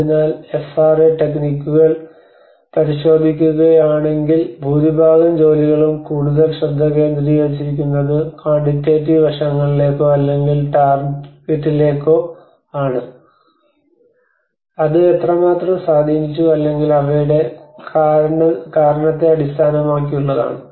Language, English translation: Malayalam, So and if you look at FRA techniques much of the work has been mostly focused on the quantitative aspects or the target based on how much has been impacted or the cause of them